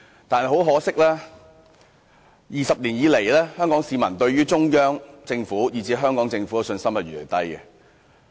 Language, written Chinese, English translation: Cantonese, 但是，很可惜 ，20 年來，香港市民對中央政府和香港政府的信心越來越低。, But sadly over the past 20 years Hong Kong peoples confidence in the Central Government and the Hong Kong Government has been declining